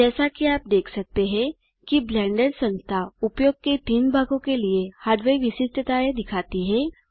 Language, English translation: Hindi, As you can see, the Blender Organization shows Hardware Specifications for 3 sections of usage: Minimum, Good and Production levels